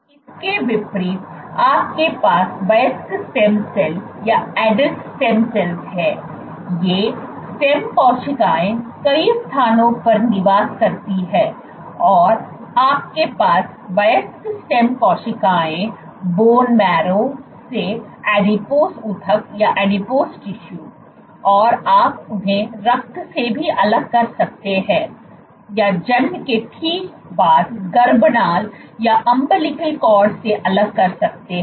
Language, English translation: Hindi, In contrast, you have Adult stem cells; these stem cells reside at multiple locations and you have isolation of adult stem cells one of them from this from bone marrow, one of them from Adipose tissue, you can isolate them from Blood or you can isolate from umbilical cord this is right after birth